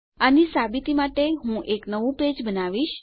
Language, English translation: Gujarati, To prove this Ill create a new page